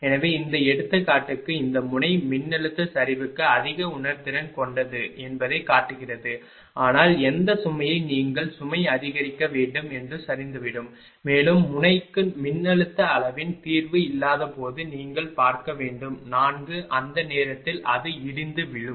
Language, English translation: Tamil, So, but for these example it is showing that this node is more sensitive of voltage collapse, but which load it will be collapsing that you have to increase the load and you have to see when there will be no solution of the voltage magnitude for node 4 at that time it will be collapsing